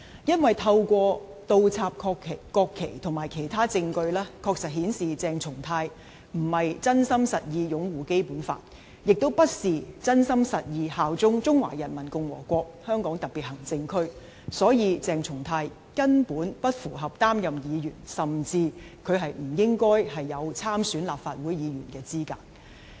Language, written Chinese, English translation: Cantonese, 因為透過倒插國旗及其他證據，確實顯示鄭松泰並非真心實意擁護《基本法》，亦非真心實意效忠中華人民共和國香港特別行政區，所以鄭松泰根本不符合擔任議員，他甚至不應具備參選立法會的資格。, It is because his act of inverting the national flags and other evidence positively indicates that CHENG Chung - tai does not genuinely and sincerely uphold the Basic Law and swear allegiance to the Hong Kong Special Administration Region HKSAR of the Peoples Republic of China . Therefore CHENG Chung - tai is absolutely not qualified for office as a Member; he even should not qualify for standing in the Legislative Council Election